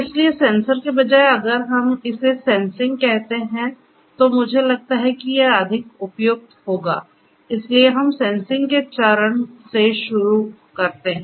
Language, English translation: Hindi, So, instead of sensors if we call it sensing; I think that will be more appropriate, so, we start with the phase of sensing